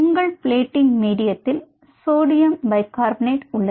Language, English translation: Tamil, and your plating medium has sodium bicarbonate, which is used for the buffering